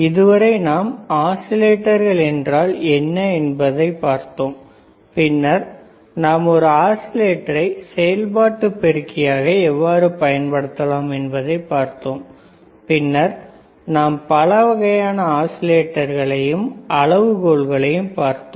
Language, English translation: Tamil, So, until now we have seen what exactly oscillators isare, then we have seen how you can use operational amplifier as an oscillator, then we have seen kinds of oscillators and the criteria right